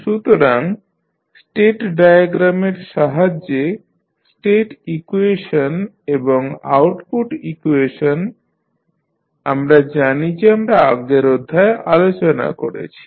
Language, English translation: Bengali, So, with the help of state diagram, state equation and output equation we know we have discussed in the previous lectures